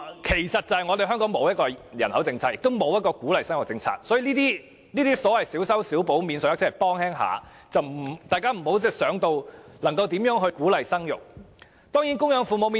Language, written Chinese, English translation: Cantonese, 其實，真正的原因是香港沒有人口政策，也沒有鼓勵生育的政策，這些小修小補的免稅額只是略為幫忙，大家不要扯到鼓勵生育方面。, In fact the real cause is an absence of a population policy in Hong Kong and there is not any policy to encourage childbearing . All the piecemeal measures to provide tax allowances are of little help only so Members should not associate this with encouraging childbearing